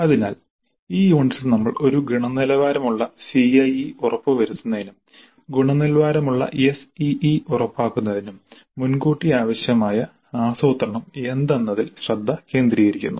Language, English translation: Malayalam, So in this unit we focus on the planning upfront that is required to ensure quality CIE as well as quality SEA